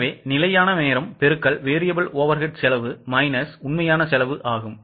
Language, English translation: Tamil, So, actual hours into standard variable overhead rate minus actual overhead rate